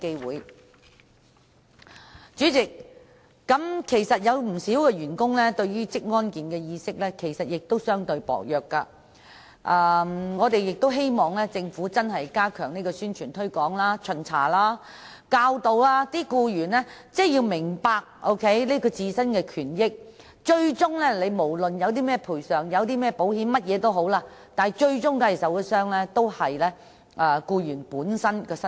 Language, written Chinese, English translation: Cantonese, 代理主席，鑒於不少員工的職安健意識較薄弱，因此我們亦希望政府認真加強宣傳推廣、巡查和教導僱員認識自身的權益，讓他們明白到不管有何賠償或保險保障，最終受到傷害的，也是僱員的身體。, Deputy President given a weak awareness of occupational safety and health among employees it is also our hope that the Government would put in much effort to promote publicity conduct inspection and provide education programme to employees so that they will have a better understanding of their rights and benefits and realize that no matter what compensation or insurance cover will be offered injured employees and prescribed occupational disease sufferers are ultimately the persons to suffer